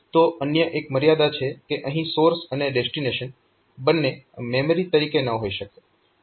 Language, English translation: Gujarati, There is another restriction like you cannot have both source and destination as memory